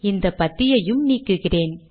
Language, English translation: Tamil, And let me also remove this paragraph bit